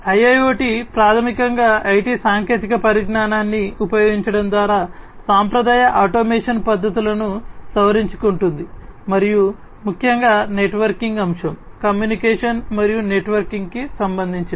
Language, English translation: Telugu, So, IIoT basically modifies the traditional automation techniques by exploiting the IT technology and particularly with respect to the networking aspect, the communication and networking